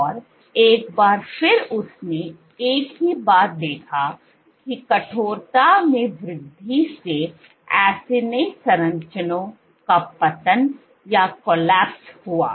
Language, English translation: Hindi, And once again she observed the same thing, so increase in stiffness led to collapse of acini structure